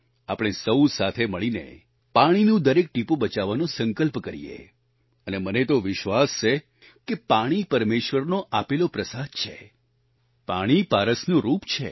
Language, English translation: Gujarati, We together should all resolve to save every drop of water and I believe that water is God's prasad to us, water is like philosopher's stone